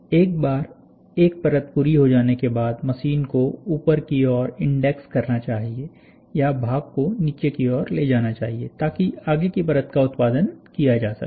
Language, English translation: Hindi, Ones a layer is completed the machine must index upward or move the part downward, so that the further layer can be produced